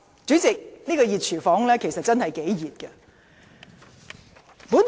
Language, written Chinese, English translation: Cantonese, 主席，這個"熱廚房"的溫度其實真的頗熱。, President in fact the hot kitchen is really extremely hot